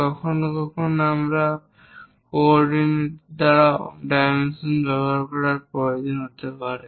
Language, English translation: Bengali, Sometimes, we might require to use dimensioning by coordinates also